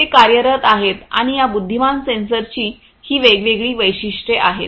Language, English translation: Marathi, They are in the works and these are the different features of these intelligent sensors